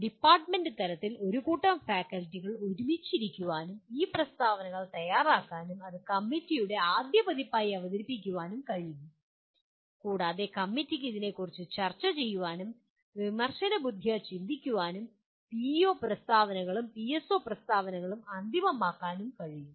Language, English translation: Malayalam, At department level, a group of faculty can sit together and prepare these statements and present it to the committee as the first version and the committee can debate/deliberate over that and finalize the PEO statements and PSO statements